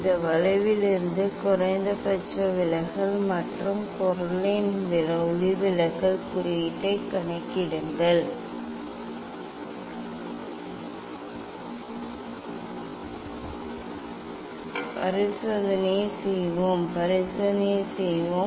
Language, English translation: Tamil, And minimum deviation from this curve and get the calculate the refractive index of the material let us do the experiment, let us do the experiment